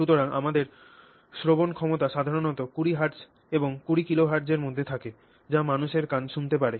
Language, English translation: Bengali, So, our hearing, I mean, capacity is usually between 20 hertz and 20 kilohertz